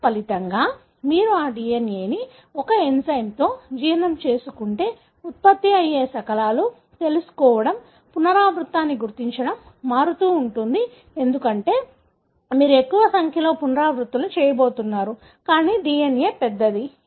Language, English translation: Telugu, As a result, if you digest that DNA with an enzyme, the fragments that would be produced because of, know, detecting the repeat would vary because, more number of repeats you are going to have, larger the DNA